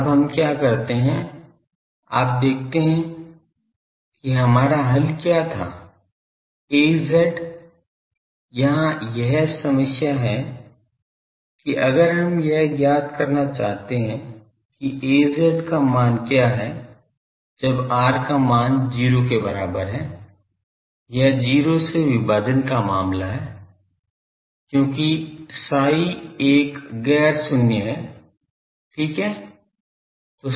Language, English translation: Hindi, Now, what we do, you see what was our solution Az was here is a problem that if we want to determine what is the value of Az at r is equal to 0, it is a division by 0 case because phi is a nonzero and fine